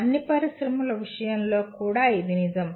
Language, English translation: Telugu, This is also true of all industries